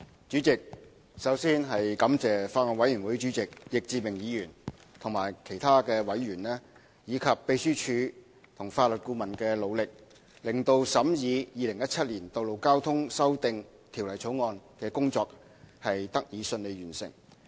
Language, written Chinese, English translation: Cantonese, 主席，首先，我要感謝法案委員會主席易志明議員及其他委員，以及秘書處和法律顧問的努力，令審議《2017年道路交通條例草案》的工作得以順利完成。, President first of all I have to thank Mr Frankie YICK Chairman and other members of the Bills Committee the Legislative Council Secretariat and the Legal Adviser for their efforts to facilitate the completion of the scrutiny of the Road Traffic Amendment Bill 2017 the Bill